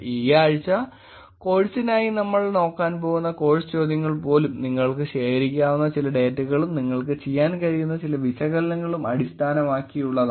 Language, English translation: Malayalam, This week even the course questions that we are going to be looking at for the course is going to be based on something, some data that you can collect and some analysis that you can do